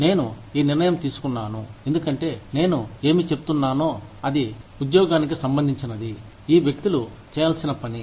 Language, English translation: Telugu, I took this decision, because, whatever, i was saying, was related to the job, that these people were supposed, to do